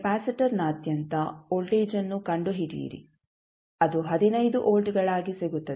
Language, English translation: Kannada, Find out the voltage across capacitor that comes out to be 15 volts